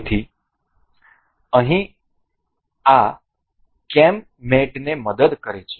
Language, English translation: Gujarati, So, here helps this cam mate